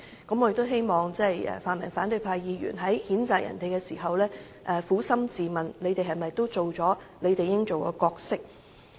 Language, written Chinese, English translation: Cantonese, 我希望泛民反對派議員在譴責他人時撫心自問，他們又有否發揮應有的角色？, I hope that Members in the pan - democratic camp will ask themselves honestly whether they have fulfilled their due roles when condemning others